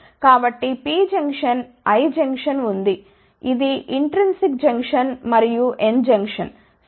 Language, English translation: Telugu, So, there is a P junction, I junction, which is intrinsic junction and N junction ok